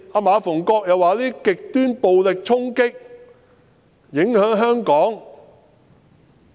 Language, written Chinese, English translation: Cantonese, 馬逢國議員說，這些極端暴力衝擊影響香港。, Mr MA Fung - kwok said that such extreme violence had impacted Hong Kong